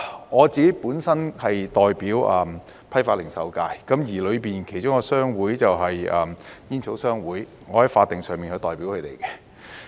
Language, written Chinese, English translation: Cantonese, 我本身是代表批發及零售界，而當中一個商會就是煙草商會，我在法定上是代表他們的。, I myself represent the wholesale and retail sector and the Tobacco Association is one of the trade associations in the sector I am hence their statutory representative